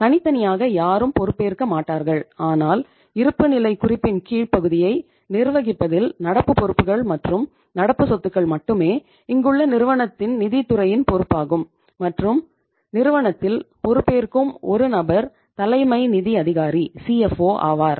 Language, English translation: Tamil, Nobody individually is held responsible but in the management of the lower part of the balance sheet that is the current liabilities and current assets here only is the responsibility of the one department that is finance department of the firm and the one largely the one person that is the chief financial officer of the company